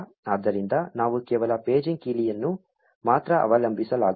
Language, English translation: Kannada, So, we cannot just rely on the paging key alone